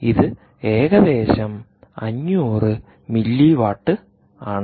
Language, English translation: Malayalam, sorry, its about five hundred milliwatts